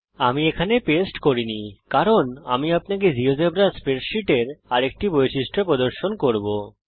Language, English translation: Bengali, I did not paste these because I will show you another feature of geogebra spreadsheets